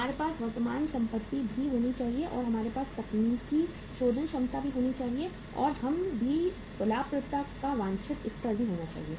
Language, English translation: Hindi, We should have the current assets also and we should have the technical solvency also and we should have the desired level of the profitability also